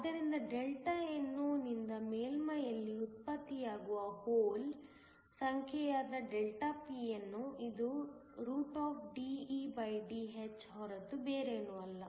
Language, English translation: Kannada, So, Δpno, which is the number of holes generated at the surface by Δnno, is nothing but DeDh